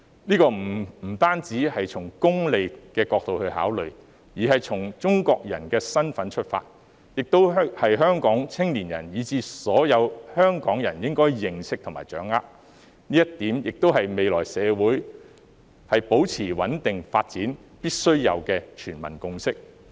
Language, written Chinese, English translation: Cantonese, 這不僅是從功利的角度來考慮，而是從中國人的身份出發，亦是香港青年人，以至所有香港人應該認識和掌握的，這點亦是未來社會保持穩定發展必須有的全民共識。, This should not be considered merely from a utilitarianism perspective but also from the perspective of a Chinese . This is something that the youth of Hong Kong as well as all the people of Hong Kong should know and understand . This is also a consensus which must be reached by all people in order to maintain the stable development of society in future